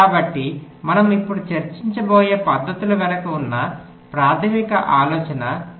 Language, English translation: Telugu, so this is the basic idea behind the methods that we shall be discussing now